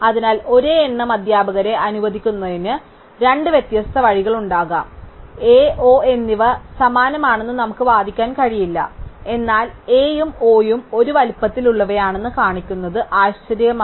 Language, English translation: Malayalam, So, there maybe two different ways to allocate the same number of teachers, so we cannot argue that A and O are identical, but it is suffices to show that A and O are of the same size